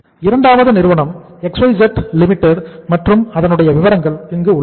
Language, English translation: Tamil, Second company is XYZ Limited and these are the particulars